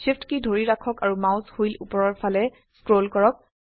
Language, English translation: Assamese, Hold SHIFT and scroll the mouse wheel upwards